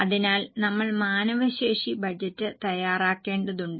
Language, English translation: Malayalam, So, we need to prepare manpower budget